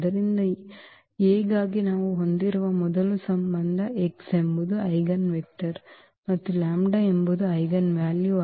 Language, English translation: Kannada, So, first of a relation we have for this A that x is the eigenvector and lambda is the eigenvalue